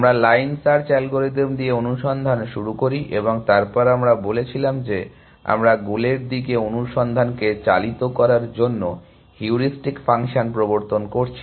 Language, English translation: Bengali, We started search with line search algorithm and then say, then we said we are introducing heuristic functions to guide search towards the goal